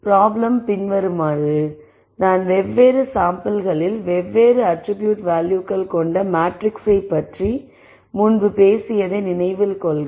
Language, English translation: Tamil, Remember we talked about the matrix as having values for different attributes at different samples